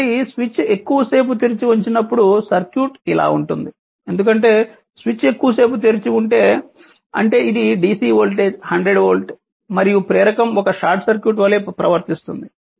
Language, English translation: Telugu, So, this will be the circuit because if switch is open for a long time if the switch is open for a long time; that means, ah that it is a dc volt 100 10 volt right and inductor behaves as a short circuit inductor behaves as a short circuit so, it is short